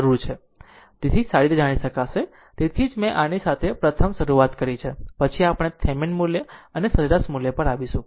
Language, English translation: Gujarati, So, that is why I have started with this one first, then we will come to the mean value and average value